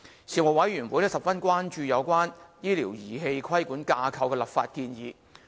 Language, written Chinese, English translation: Cantonese, 事務委員會十分關注有關醫療儀器規管架構的立法建議。, The Panel was very concerned about the legislative proposals to the regulatory regime for medical devices